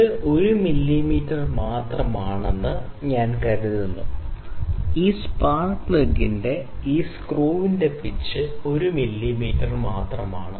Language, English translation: Malayalam, So, it I think it is 1 mm, the pitch of this screw of this spark plug is 1 mm only